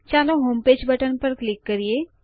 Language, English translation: Gujarati, Lets click on the homepage button